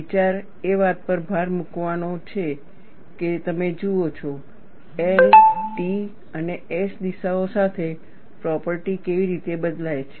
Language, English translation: Gujarati, The idea is to emphasize that you look at, how the properties change along the L, T and S directions